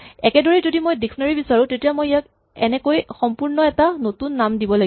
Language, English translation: Assamese, In the same way if I want a dictionary I have to give it a completely new name like this